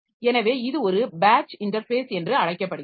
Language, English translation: Tamil, And there is batch interface